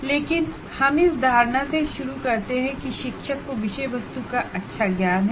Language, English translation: Hindi, But we start with the assumption that the teacher has a good knowledge of subject matter